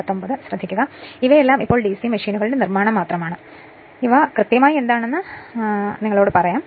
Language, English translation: Malayalam, So, all these here now construction of DC machine just I will tell you what exactly this things